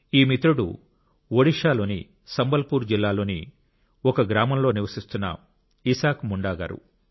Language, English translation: Telugu, This friend Shriman Isaak Munda ji hails from a village in Sambalpur district of Odisha